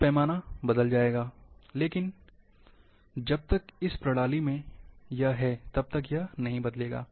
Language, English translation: Hindi, Then the scale will change, but as long as in the system, it will not change